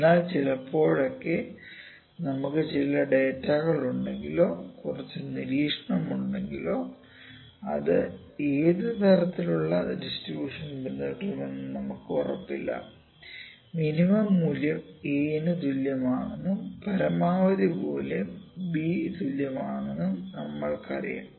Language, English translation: Malayalam, So, sometime what happens that we have some data or we have some observation but we are not sure that what kind of distribution would it follow we just know the minimum value is a, minimum value is equal to a and maximum value is equal to b in between what is happening we do not know